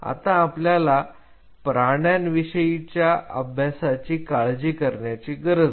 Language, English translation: Marathi, So, we do not have to worry about the animal studies at this time